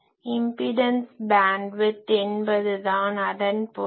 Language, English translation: Tamil, So, impedance bandwidth is a term